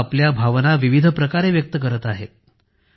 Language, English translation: Marathi, People are expressing their feelings in a multitude of ways